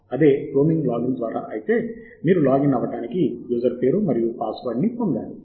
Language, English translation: Telugu, if it is there through a roaming login, then you must get the username and password for you to log in through the portal